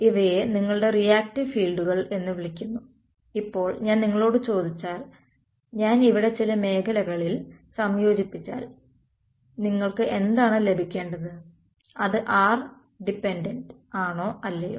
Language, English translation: Malayalam, So, these are called your reactive fields, now if I ask you if I integrate over some sphere over here what should you get, will it be r dependent or not